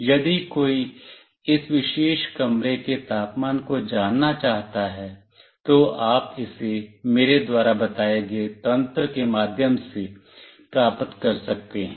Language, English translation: Hindi, If somebody wants to know the temperature of this particular room, you can get it through the mechanism I told you